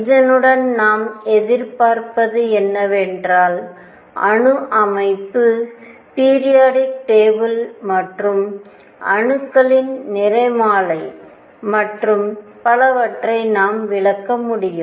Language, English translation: Tamil, And what we anticipate with this we should be able to explain atomic structure, periodic table and spectra of atoms and so on